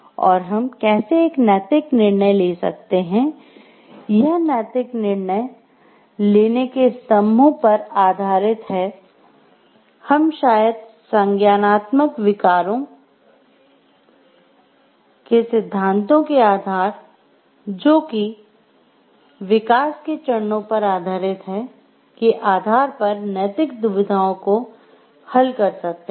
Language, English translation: Hindi, And how we can take a ethical decision based on these pillars of ethical decision making, how we can solve the ethical dilemmas based on maybe the stages of development that we are in our based on this cognitive disorders theories